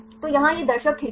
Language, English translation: Hindi, So, here this is the viewer window